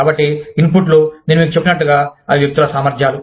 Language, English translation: Telugu, So, inputs, of course, like I told you, they are the competencies of individuals